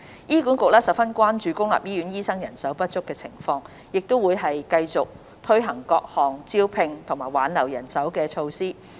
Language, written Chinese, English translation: Cantonese, 醫管局十分關注公立醫院的醫生人手情況，會持續推行各項增聘及挽留人手的措施。, HA is very concerned about the manpower of doctors in public hospitals and will continue to undertake measures to increase and retain manpower